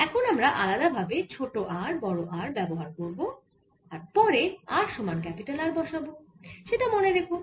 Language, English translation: Bengali, later on we will put a small r equals to capital r, so just ah, mind this